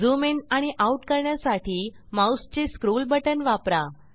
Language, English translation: Marathi, To zoom in and out for better view use the scroll button of your mouse